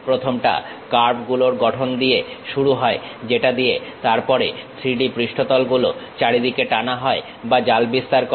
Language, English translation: Bengali, The first one begins with construction of curves from which the 3D surfaces then swept or meshed throughout